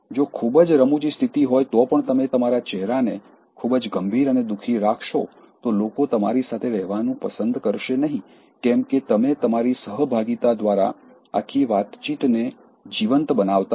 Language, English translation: Gujarati, Even when it is a humorous situation if you keep your face very serious and poker, so, people will not like to be in your company because, you are not making that entire conversation enliven by your participation